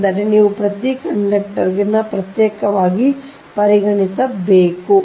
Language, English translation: Kannada, that means you have to consider every conductor separately, right